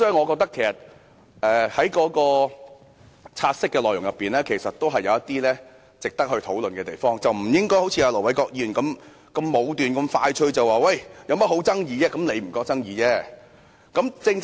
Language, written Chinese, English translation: Cantonese, 我覺得"察悉議案"確有值得討論的地方，我們不應該像盧偉國議員般武斷，即時下結論認為沒有爭議，其實只是他認為沒有爭議。, I think there are aspects worth discussing in the take - note motion . We should not be so arbitrary like Ir Dr LO Wai - kwok to immediately conclude that there is no dispute at all . Indeed only he himself would think so